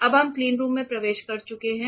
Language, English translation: Hindi, We have now entered the cleanroom ok